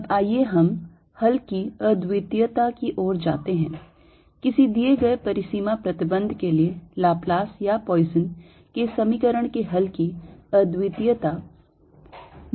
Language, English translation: Hindi, now let's go to uniqueness of solution, uniqueness of solution of laplace's or poison's equation for a given boundary condition